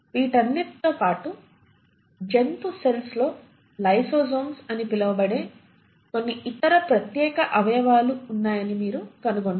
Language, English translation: Telugu, In addition to all this you also find that animal cells have some other special organelles which are called as the lysosomes